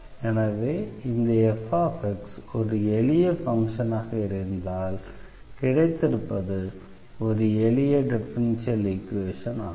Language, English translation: Tamil, So, we have this function f whose differential is now the given differential equation